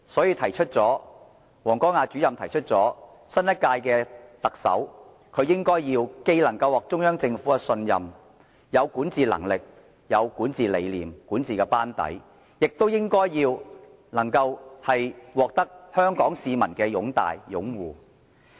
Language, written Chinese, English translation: Cantonese, 因此，王光亞主任提出新任特首要能獲得中央政府的信任，又要有管治能力、理念、班底，亦應獲得香港市民的擁戴和擁護。, Hence Director WANG Guangya has suggested that the new Chief Executive should be trusted by the Central Government should have administration ability vision and a good team as well as the admiration and support of the people of Hong Kong